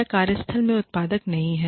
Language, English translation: Hindi, Or, is not productive, at work